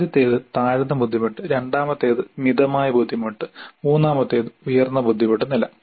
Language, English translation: Malayalam, The first one is lower difficulty, second one is moderate difficulty and the third one is higher difficulty level